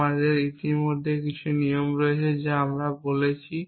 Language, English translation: Bengali, We already have a set of rules that we have spoken about